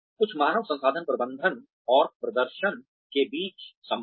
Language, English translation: Hindi, Some, the connection between, human resources management and performance